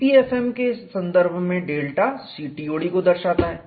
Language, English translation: Hindi, In the context of EPFM, delta refers to CTOD